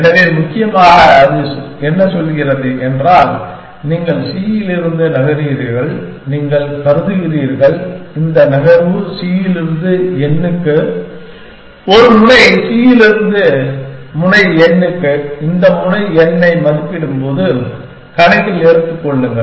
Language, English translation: Tamil, So, essentially what it is saying is that, you are your moving from c, you are considering this move from c to n, from a node c to node n, when you are evaluating this node n, take into account